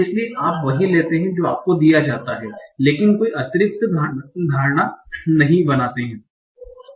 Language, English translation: Hindi, So you take what is given to you but do not make any additional assumptions